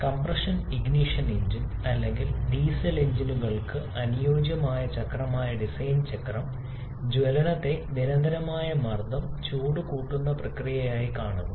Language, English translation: Malayalam, Whereas the Diesel cycle, which is the ideal cycle for compression ignition engine or diesel engines that visualises combustion as a constant pressure heat addition process